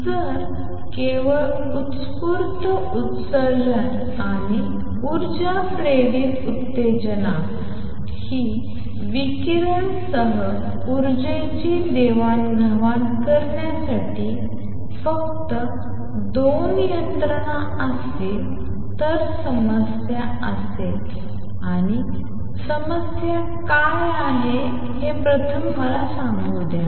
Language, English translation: Marathi, If only spontaneous emission and energy induced excitation were the only 2 mechanisms to exchange energy with radiation there will be problem and what is the problem let me state that first